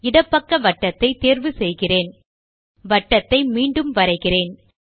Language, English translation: Tamil, Let me choose the left circle